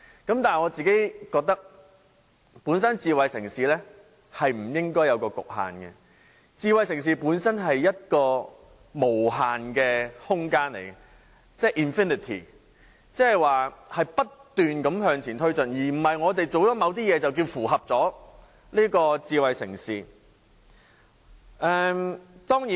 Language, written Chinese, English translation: Cantonese, 但是，我覺得智慧城市本身不應有所局限，智慧城市本身是一個無限的空間，即不斷向前推進，而不是我們做了某些事情便認為已經符合智慧城市的條件。, However I think there should not be any limit to a smart city . A smart city is in itself an infinity that is it keeps advancing forward and it is not the case that we can consider ourselves to have fulfilled the conditions of being a smart city just because we have done certain things